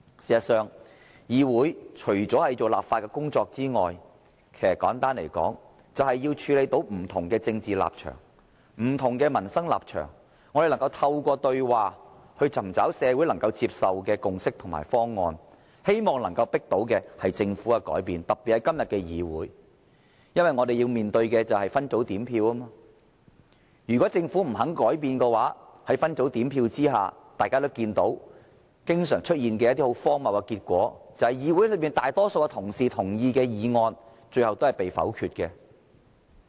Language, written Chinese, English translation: Cantonese, 事實上，議會除了負責立法的工作外，其實簡單來說，便是要處理不同的政治立場和不同的民生立場，透過對話尋找社會能夠接受的共識和方案，希望能夠迫使政府改變，特別是今天的議會，因為我們要面對的是分組點票。如果政府不肯改變，在分組點票下，大家也看到一些經常出現的荒謬結果，便是議會內大多數同事贊同的議案最終也被否決。, In fact apart from lawmaking the role of this Council is simply put to deal with different political positions and different positions on the peoples livelihood and through dialogues seek consensuses and identify proposals that are acceptable to society with a view to forcing the Government to change . This is especially important in this Council nowadays because we are faced with the system of separate voting and in the event that the Government refused to change under separate voting we often see results that are sheer absurdities in that motions supported by a majority of colleagues in this Council are eventually negatived